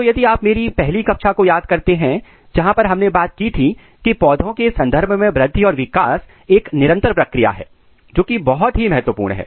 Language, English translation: Hindi, So, if you remember the first class where we have talked about that, in case of plants the growth the development is continuous first very important thing